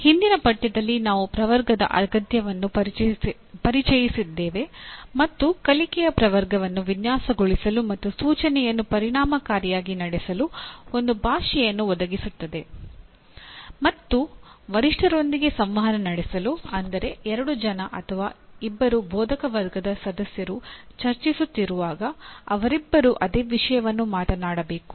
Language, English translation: Kannada, We, in the earlier unit we introduced the need for taxonomy and we noted that taxonomy of learning will provide a language for designing a course and conducting of instruction effectively and also to communicate and interact with peers so that two people, two faculty members when they are discussing they are talking about the same thing